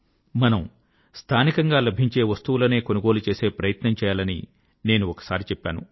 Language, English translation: Telugu, I had once said that we should try to buy local products